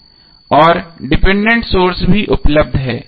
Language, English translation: Hindi, And the dependent sources are also available